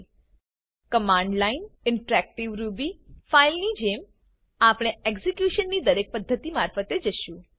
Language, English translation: Gujarati, Ruby code can be executed in 3 ways Command line Interactive Ruby As a file We will go through each method of execution